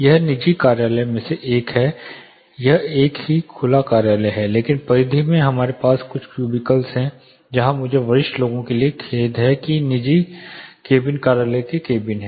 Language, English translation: Hindi, This is one of the private offices, this is same open office but in the periphery we had a couple of cubicles where I am sorry private cabins office cabins for senior people